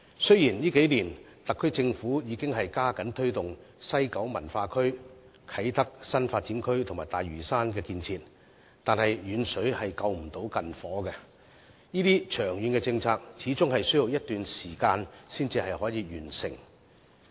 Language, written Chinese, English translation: Cantonese, 雖然特區政府在這數年已加緊推動西九文化區、啟德新發展區和大嶼山等建設，但"遠水救不到近火"，這些長遠政策始終需要一段時間才可以完成。, Although the SAR Government has given more impetus to spearhead the construction of the West Kowloon Cultural District Kai Tak New Development Area and Lantau Island over the past few years distant water cannot put out a nearby fire and it would take some time before the long - term policies can bear fruit